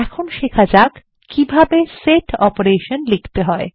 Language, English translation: Bengali, Let us now learn how to write Set operations